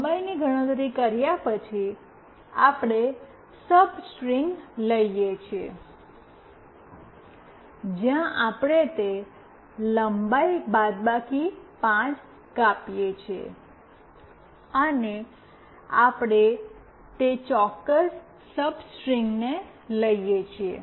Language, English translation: Gujarati, After calculating the length, we take the substring, where we cut out that length minus 5, and we take that particular string